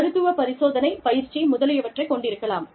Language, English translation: Tamil, You could have medical screening, training, etcetera